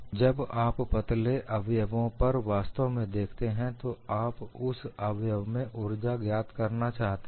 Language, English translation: Hindi, So, when you are really looking at slender members, you want to find out energy on that member